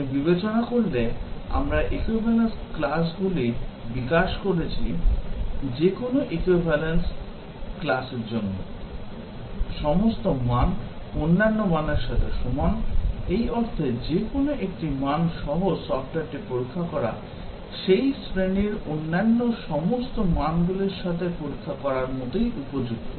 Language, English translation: Bengali, When you consider, we have developed the equivalence classes; for any equivalence class, all the values are equivalent to the other values, in the sense that, checking the software with any one value, is as good as checking with all other values of that class